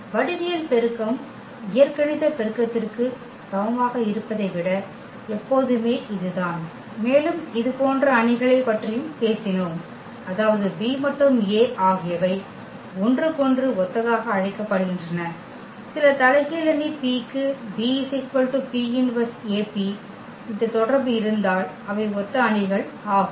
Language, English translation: Tamil, And always this is the case that geometric multiplicity is less than equal to the algebraic multiplicity and we have also talked about the similar matrices; that means, B and A are called the similar to each other they are the similar matrices, if we have this relation that B is equal to P inverse AP for some invertible matrix P